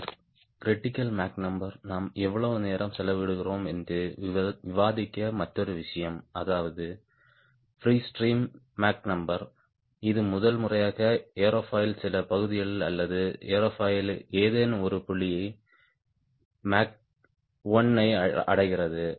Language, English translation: Tamil, then, another thing we discussed which was free: a lot of time we spend the critical mach number, that is, that free stream mach number at which, for the first time, some part of the or some point on the aerofoil attains mach one right